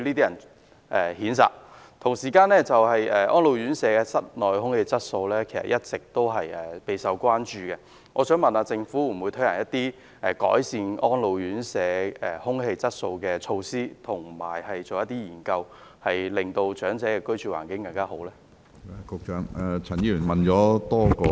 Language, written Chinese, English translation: Cantonese, 與此同時，安老院舍的室內空氣質素一直備受關注，就此，政府會否推行一些改善安老院舍空氣質素的措施，並進行一些研究，以期令長者有更好的居住環境？, At the same time the indoor air - quality of elderly homes has always been a cause of concern . Hence will the Government introduce some measures to improve the air - quality of elderly homes and conduct some studies with a view to providing a better living environment for the elderly?